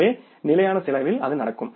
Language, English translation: Tamil, So, that happens in case of the fixed cost